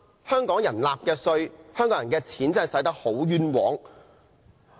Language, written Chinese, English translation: Cantonese, 香港人繳納的稅款真的花得很冤枉。, The tax paid by Hong Kong people is really doing them injustice